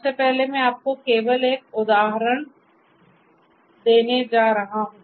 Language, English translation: Hindi, So, first of all I will I am just going to give you an example